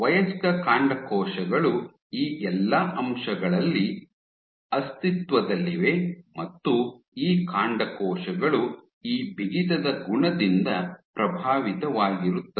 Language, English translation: Kannada, So, adult stem cells they exist in all these tissues is it possible that these stem cells are influenced by this property of stiffness